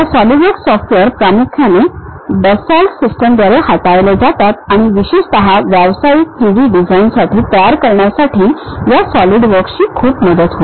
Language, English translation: Marathi, The Solidworks software mainly handled by Dassault Systemes and especially for professional 3D designing this Solidworks helps a lot